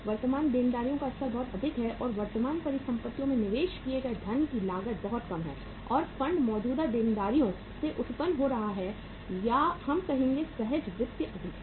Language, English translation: Hindi, Level of the current liabilities is very very high so cost of funds invested in the current asset is very low and the funds being generated from the current liabilities or we would say from the spontaneous finance is high